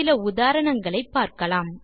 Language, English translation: Tamil, Let us try out a few examples